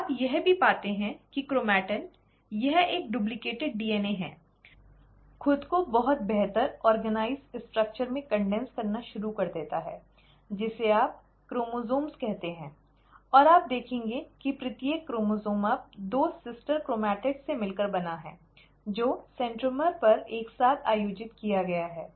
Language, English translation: Hindi, You also find that the chromatin, right, this is a duplicated DNA, starts condensing itself into a much better organized structure, which is what you call as the chromosomes, and you will notice that each chromosome is now consisting of two sister chromatids, which are held together at the centromere